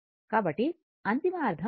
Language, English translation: Telugu, So, ultimate meaning is same